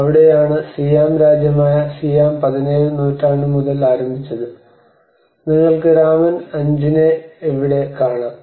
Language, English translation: Malayalam, And that is where the Siam which is the Siam kingdom has been started from 17th century, and you can see that king Rama 5